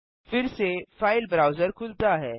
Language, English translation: Hindi, Again, the file browser opens